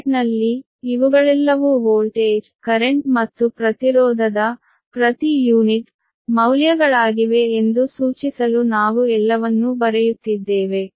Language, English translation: Kannada, in bracket we are writing all per unit to indicate that these are all per unit values of voltage and current and impedance